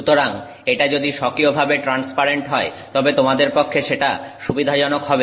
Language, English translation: Bengali, So, if it is inherently transparent then that is something that is convenient to you